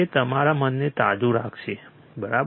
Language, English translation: Gujarati, That will keep your mind a fresh, right